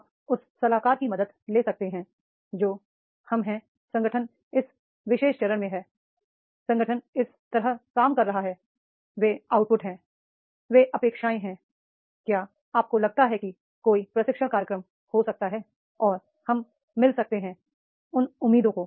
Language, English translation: Hindi, That is we are organization is in this particular stage, organization is functioning like this, these are the output, these are the expectations, do you think that there can be any training program and we can meet those expectations